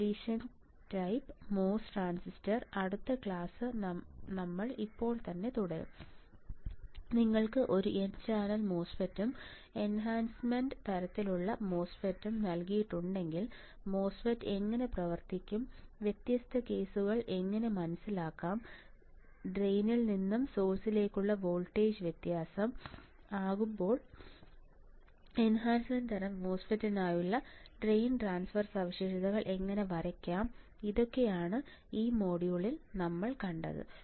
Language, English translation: Malayalam, Depletion type mos transistor then we will continue the next class right now what we have seen we have seen that if you are given a n channel MOSFET and enhancement type MOSFET, how the MOSFET will operate how can we understand the different cases, when we apply different drain to source voltage, what about the drain transfer characteristics for the enhancement type MOSFET